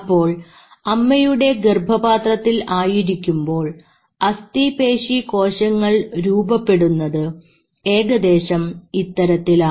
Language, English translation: Malayalam, Now in the mother's womb, the way skeletal muscle is formed something like this